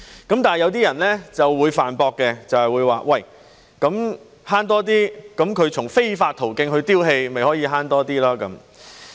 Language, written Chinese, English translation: Cantonese, 但是，一些人會駁斥說只要從非法途徑丟棄廢物，便可以"慳多啲"。, However some people may argue that one can save more by simply dumping waste through illegal channels